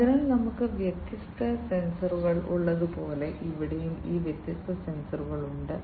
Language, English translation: Malayalam, So, here also we have these different sensors here also like before we have different sensors